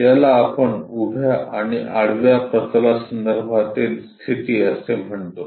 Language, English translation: Marathi, That is what we call is position with respect to vertical plane and horizontal plane